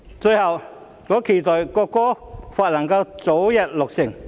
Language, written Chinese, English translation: Cantonese, 最後，我期待《條例草案》早日落實。, Finally I look forward to the early implementation of the Bill